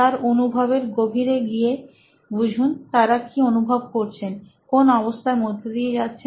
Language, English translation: Bengali, Go into the depths of experience what they are experiencing to find out what they are going through